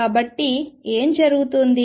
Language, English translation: Telugu, So, what is going on